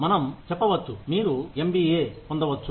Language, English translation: Telugu, We say, you can get an MBA